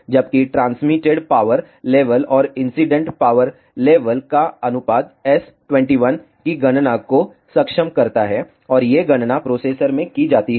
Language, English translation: Hindi, Whereas the ratio of transmitted power level and incident power level enable the calculations of S 2 1, and these calculations are performed in the processor